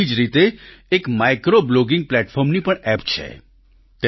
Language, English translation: Gujarati, Similarly, there is also an app for micro blogging platform